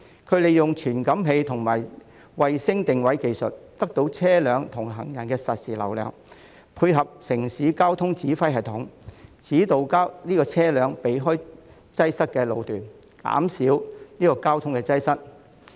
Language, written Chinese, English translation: Cantonese, 它們利用傳感器及衞星定位技術得到車輛和行人的實時流量數據，配合城市交通指揮系統，指導車輛避開擠塞的路段，減少交通擠塞。, Sensors and satellite positioning technology are employed to obtain real - time traffic data of vehicles and pedestrians for the urban traffic command system to guide vehicles away from congested sections so that traffic jams can be reduced